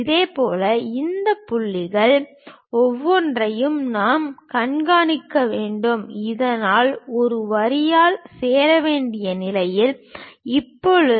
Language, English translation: Tamil, In the similar way we have to track it each of these points so that, we will be in a position to join that by a line